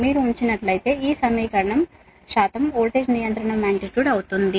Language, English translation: Telugu, that means that is your percentage voltage regulation